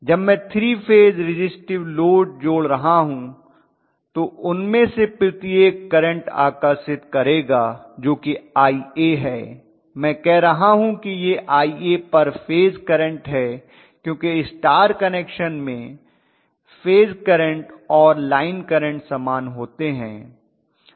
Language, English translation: Hindi, When I am connecting a 3 phase resistive load each of them is going to draw a current which is probably Ia, I am saying this is Ia per phase because it is any way star connected phase current and line current are the same